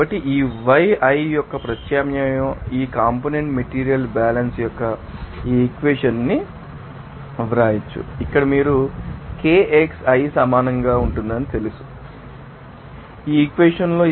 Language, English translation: Telugu, So, we can you know write this equation of this component material balance of the substitution of this yi are you know equal to Kixi here then finally, you can write here at this equation